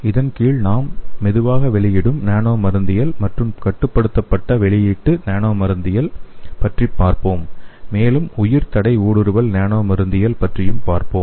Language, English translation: Tamil, So under this we will be studying about what is slow release nanopharmacology and what is controlled release nano pharmacology and also will be studying about the bio barrier penetration nanopharmacology